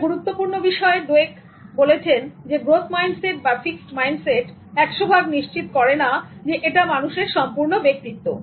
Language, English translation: Bengali, The interesting thing that Dweck talks about is that fixed mindset and growth mindset will not 100% determine the personality of a human being